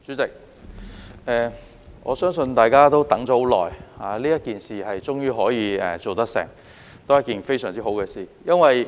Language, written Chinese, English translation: Cantonese, 代理主席，我相信大家等了很久，這件事終於做得成，都是一件非常好的事。, Deputy President I believe everyone has waited for a very long time and it is marvellous to finally get this done